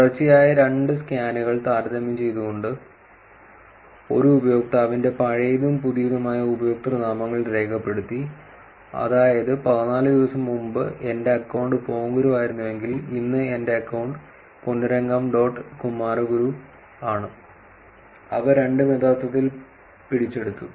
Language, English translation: Malayalam, By comparing two consecutive scans, old and new usernames of a user were recorded, which is if fourteen days before, if my account was Ponguru, and today my account is ponnurangam dot kumaraguru both of them are actually captured